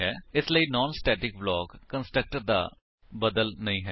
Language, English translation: Punjabi, So non static block is not a substitute for constructor